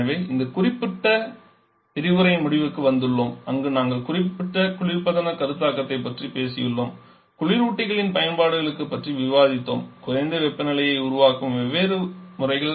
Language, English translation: Tamil, So, that it says to the end of this particular module query have talked about the concept of refrigeration discuss about refrigerant applications different methods of producing low temperature